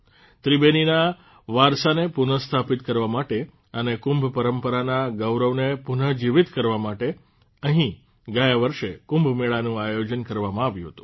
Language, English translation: Gujarati, Kumbh Mela was organized here last year to restore the cultural heritage of Tribeni and revive the glory of Kumbh tradition